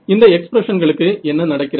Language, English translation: Tamil, So, what happens to these expressions